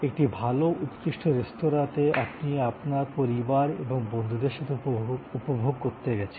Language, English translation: Bengali, Your visit to a good classy restaurant and you are enjoyment with your family and friends